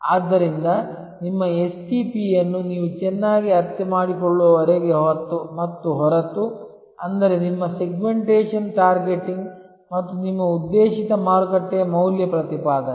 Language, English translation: Kannada, So, until and unless you very well understand your STP; that means, your Segmentation Targeting and the value proposition for your targeted market